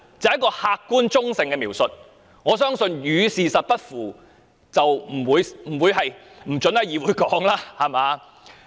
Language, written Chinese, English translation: Cantonese, 這是客觀及中性的描述，相信你也不會禁止在議會使用。, This is an objective and neutral description and I do not think you will prohibit the use of this phrase in this legislature